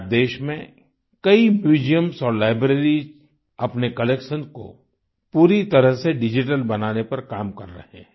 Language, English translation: Hindi, Today, lots of museums and libraries in the country are working to make their collection fully digital